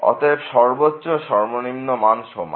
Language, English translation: Bengali, So, the maximum value is equal to the minimum value